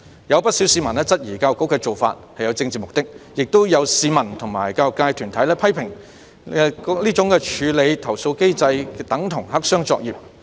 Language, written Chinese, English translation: Cantonese, 有不少市民質疑教育局的做法有政治目的，亦有市民和教育界團體批評該處理投訴機制等同黑箱作業。, Quite a number of members of the public have queried that such a move by EDB carried a political purpose . Also some members of the public and bodies of the education sector have criticized that the complaint handling mechanism is tantamount to a black box operation